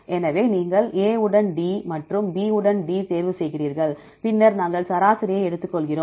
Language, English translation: Tamil, So, you choose A with D and B with D, then we take the average